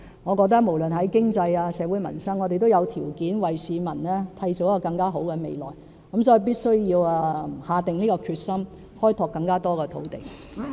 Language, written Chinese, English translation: Cantonese, 我認為無論是經濟或社會民生，我們都有條件為市民締造更好的未來，所以必須下定決心，開拓更多土地。, I believe we are in a position to craft a better future for our people on both the economic and livelihood fronts . Hence we must be resolved to develop more land